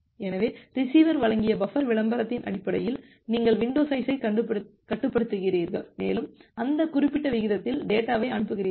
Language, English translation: Tamil, So, based on the buffer advertisement that was given by the receiver, you are controlling you window size and you are sending the data at that particular rate